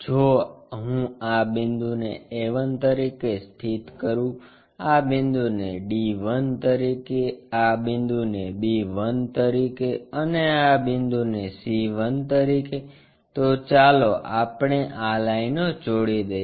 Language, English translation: Gujarati, If I am locating this point as a 1, this point as d 1, this point as b 1, and this point as c 1, let us join these lines